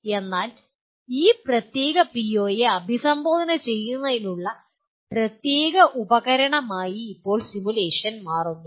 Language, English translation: Malayalam, So simulation now becomes a very important tool to address this particular PO